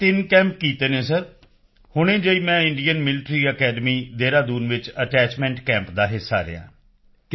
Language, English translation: Punjabi, I recently was a part of the attachment camp at Indian Military Academy, Dehradun